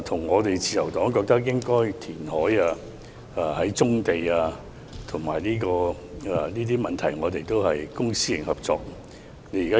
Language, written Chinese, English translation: Cantonese, 我們覺得應該填海，而棕地的問題亦需要公私營合作。, In our view reclamation should be carried out and the issue of brownfield sites warrant public - private collaboration